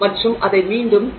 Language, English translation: Tamil, So, let's say they have said 0